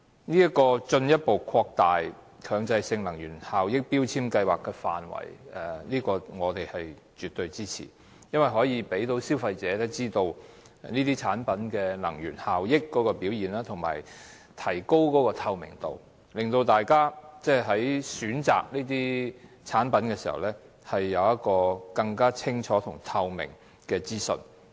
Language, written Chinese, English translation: Cantonese, 對於進一步擴大強制性標籤計劃的範圍，我們是絕對支持的，因為可以讓消費者知道電器產品的能源效益表現，提高透明度，讓大家在選購這些產品時，有更清楚及透明的資訊。, We absolutely support the further expansion of the coverage of MEELS because it will let consumers know the energy efficiency performance of various electrical products giving them clearer and more transparent information when they shop for such products